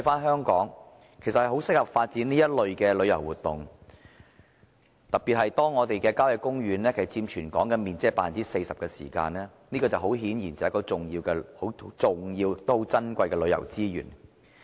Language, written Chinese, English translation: Cantonese, 香港十分適合發展這類旅遊活動，特別是我們的郊野公園佔全港面積 40%， 是十分重要而且珍貴的旅遊資源。, Hong Kong is well positioned to develop such tourism activities especially in the light that our country parks which are very important and precious tourism resources account for some 40 % of the land area of the territory